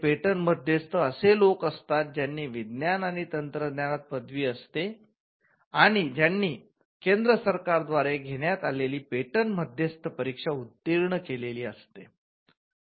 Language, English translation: Marathi, The patent agent are people who have a background degree in science and technology and who have cleared the patent agent examination conducted by the Central Government